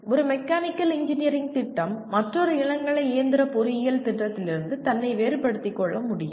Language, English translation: Tamil, They can, one Mechanical Engineering program can differentiate itself from another undergraduate mechanical engineering program